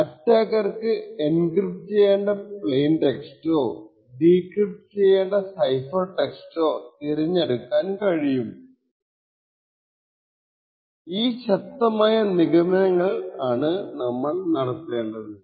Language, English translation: Malayalam, Stronger assumptions are also done where we make the assumption that the attacker also can choose the plain text that he wants to encrypt or in other circumstances choose the cipher text that he wants to decrypt